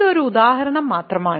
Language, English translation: Malayalam, So, this is just an example